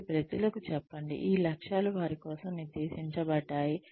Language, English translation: Telugu, So, tell people that, these objectives have been set for them